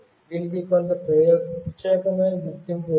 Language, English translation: Telugu, It has got some unique identity